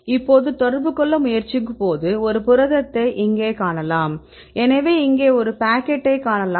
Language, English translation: Tamil, Now when they try to interact right you can see a protein here we look at the protein